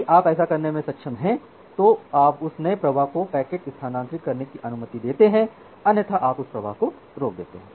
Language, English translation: Hindi, If you are able to do that then you admit or allow that new flow to transfer the packet otherwise you block that flow